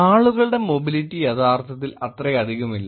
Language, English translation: Malayalam, Mobility of people is actually not that much